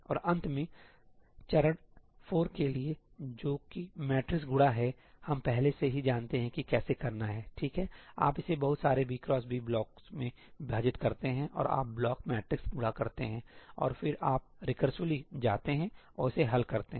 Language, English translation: Hindi, And finally, for step 4 that is matrix multiply, we already know how to do that, right, you divide it into lots of b by b blocks and you do block matrix multiply, and then you recursively go and solve it